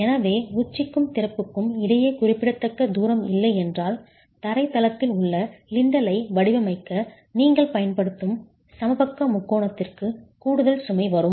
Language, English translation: Tamil, So if significant distance between the apex and the opening is not available, there is additional load that will actually come to the equilateral triangle which you are using to design the lintel in the ground story